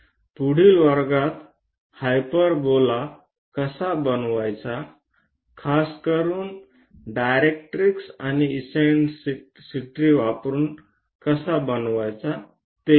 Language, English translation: Marathi, In the next class we will learn about how to construct hyperbola, especially using directrix and eccentricity